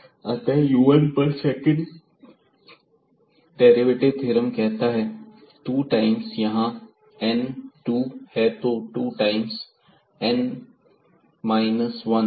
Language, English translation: Hindi, So, on u 1 for second derivative theorem it says 2 times so, n is 2; so 2 times and n minus 1 and then the u 1